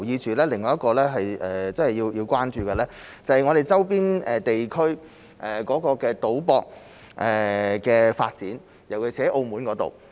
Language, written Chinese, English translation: Cantonese, 此外，我們也要關注的是，我們周邊地區的賭博行業的發展，尤其是澳門。, Also we must pay attention to the development of the gambling industry in our adjacent areas particularly Macao